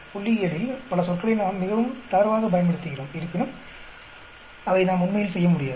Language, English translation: Tamil, Although, we keep using many words very loosely in statistics, we cannot do that actually